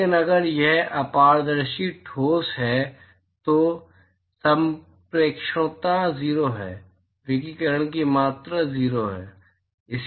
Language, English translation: Hindi, But if it is opaque solid then the transmittivity is 0, the amount of radiation that is transmitted is 0